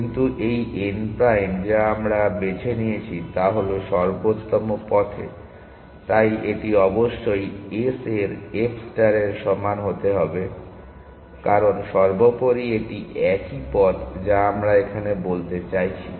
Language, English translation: Bengali, But these n prime that we have chosen is on the optimal path itself; so this must be equal to f star of s because after all it is it is the same paths that we are talking about